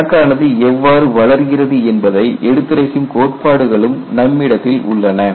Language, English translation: Tamil, They also have theories that say how the crack will grow